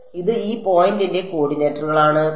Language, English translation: Malayalam, It is the coordinates of this point P